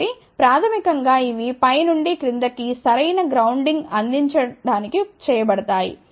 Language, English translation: Telugu, So, basically these are done to provide proper grounding from the top to the bottom